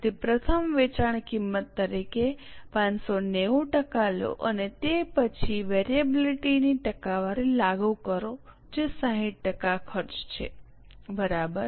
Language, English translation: Gujarati, So, first take 80% of 596 as the selling cost and then on that apply the percentage of variability which is 60% for selling expenses